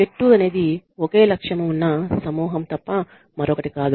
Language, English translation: Telugu, A team is nothing but a group with a purpose